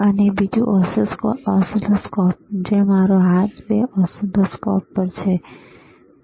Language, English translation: Gujarati, And another are oscilloscopes, which are 2 on whichere I have my hand on 2 oscilloscopes, all right